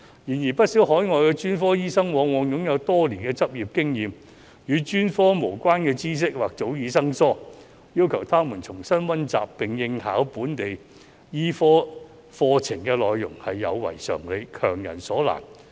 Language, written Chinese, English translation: Cantonese, 然而，不少海外專科醫生往往擁有多年執業經驗，但與專科無關的知識或早已生疏，要求他們重新溫習並應考本地醫科課程的內容是有違常理，強人所難。, While many overseas specialist doctors often have rich practice experience they may have become unfamiliar with knowledge unrelated to their specialist areas . It is unreasonable to ask them to study and sit the examination for local medicine programmes